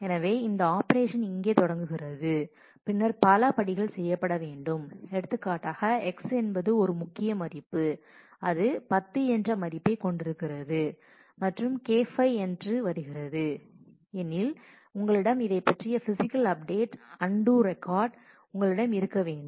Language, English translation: Tamil, So, this operation starts here and then there are several steps to be done; for example, you will have to say if X is on the key value which had 10 and is becoming K 5, you will have a physical update undo record of this